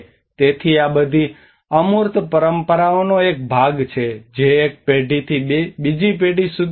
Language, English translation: Gujarati, So this all has to a part of the intangible traditions which pass from one generation to another generation